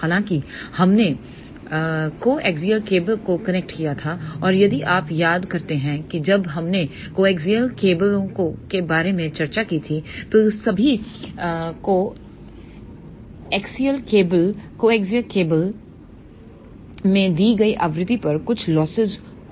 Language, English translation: Hindi, However, we had connected coaxial cable and if you recall when we discuss about coaxial cables all the coaxial cables have certain losses at the given frequency